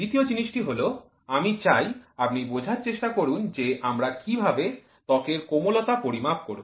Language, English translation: Bengali, Second thing is I want you to also try to understand how do we quantify softness of your skin